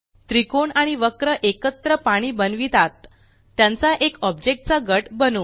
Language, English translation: Marathi, The triangle and the curve together create water, lets group them as a single object